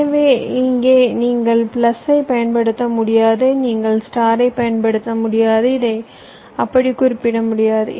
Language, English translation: Tamil, so here you cannot use plus, you cannot use star